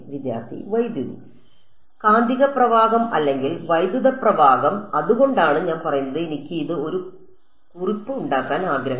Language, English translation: Malayalam, Magnetic current or electric current so that is why I am saying that that is I want to make a note of it